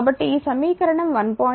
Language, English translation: Telugu, So, this equation 1